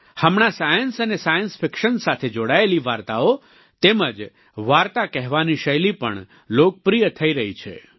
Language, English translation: Gujarati, These days, stories and storytelling based on science and science fiction are gaining popularity